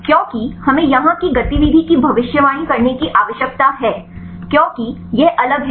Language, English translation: Hindi, Because we need to predict the activity here this is the different ones